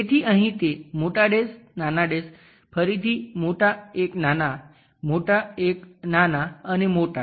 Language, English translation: Gujarati, So, here that big dash, small, again big one, small, big one, small and big one